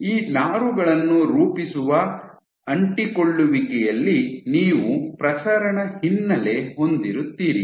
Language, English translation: Kannada, In adhesion to forming these fibers you will have a diffuse background